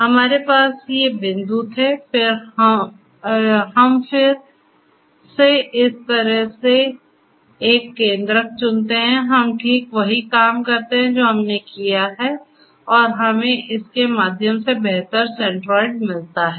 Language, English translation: Hindi, So, we had these points, we again choose a centroid like this; we do exactly the same thing that we have done and we get a better centroid through this